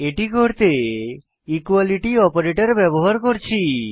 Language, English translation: Bengali, We do this using (===) the equality operator